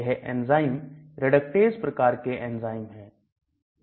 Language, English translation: Hindi, These enzymes are reductase type of enzymes